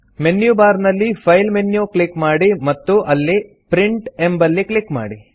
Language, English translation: Kannada, Click on the File menu in the menu bar and then click on Print